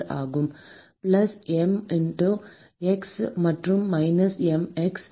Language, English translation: Tamil, yeah plus m x and minus m x